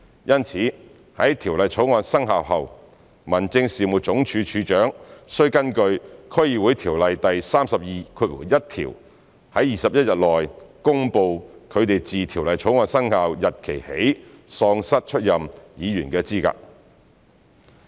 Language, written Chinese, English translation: Cantonese, 因此，在《條例草案》生效後，民政事務總署署長須根據《區議會條例》第321條在21天內，公布他們自《條例草案》生效日期起喪失出任議員的資格。, Therefore when the Bill comes into effect the Director of Home Affairs shall in accordance with section 321 of the District Councils Ordinance declare within 21 days that they have been disqualified from holding office since the commencement date of the Bill